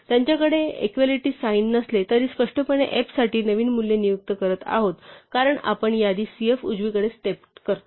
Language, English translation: Marathi, Right though they do not have this equality sign explicitly implicitly this is assigning the new values for f as we step the list cf right